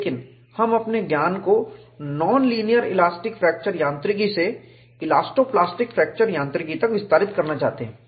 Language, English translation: Hindi, But we want to extend our knowledge, from non linear elastic fracture mechanics to elasto plastic fracture mechanics